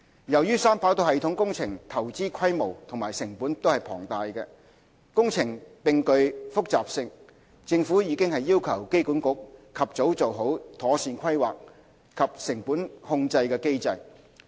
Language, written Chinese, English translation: Cantonese, 由於三跑道系統工程投資規模和成本龐大，工程並具複雜性，政府已要求機管局及早做好妥善規劃及成本控制機制。, In view of the immense investment of the 3RS project its high capital cost and complexity the Government has requested AA to conduct proper planning and implement cost control mechanisms as early as possible